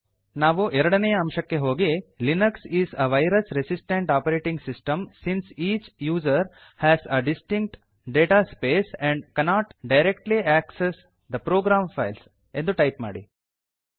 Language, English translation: Kannada, We will go to point number 2 and type Linux is a virus resistant operating system since each user has a distinct data space and cannot directly access the program files